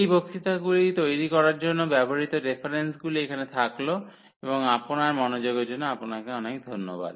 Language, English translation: Bengali, So, these are the references used to prepare these lectures and thank you for your attention